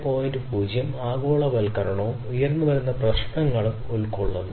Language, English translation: Malayalam, 0 incorporates globalization and emerging issues as well